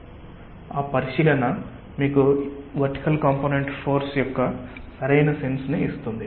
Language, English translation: Telugu, so that consideration should give the proper sense of the vertical component of the force